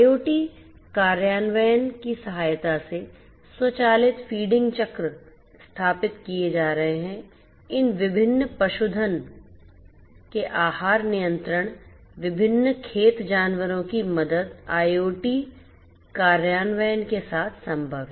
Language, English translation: Hindi, Automated feeding cycles can be set up with the help of IoT implementation, diet control of these different livestock the different farm animals is possible with the help IoT implementation